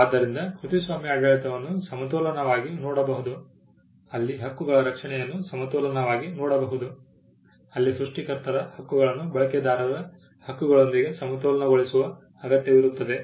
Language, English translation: Kannada, So, copyright regime can be seen as a balance where the rights of the protect can be seen as a balance where the rights of the creators have to be balanced with the rights of the users